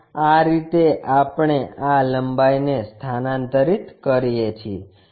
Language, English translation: Gujarati, That is the way we transfer this lengths